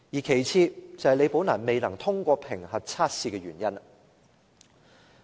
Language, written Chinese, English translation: Cantonese, 其次，便是李寶蘭未能通過評核測試的原因。, Next is the reason why Ms Rebecca LI failed to pass the assessment